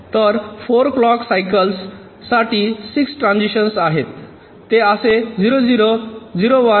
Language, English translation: Marathi, so in four clock cycles there are six transitions, like: from zero, zero, zero, one